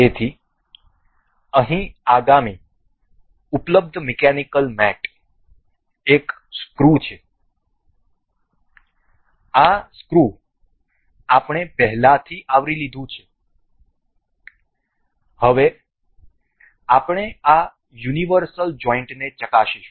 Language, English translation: Gujarati, So, the next available mechanical mate here is screw, this screw we have already covered now we will check this universal joint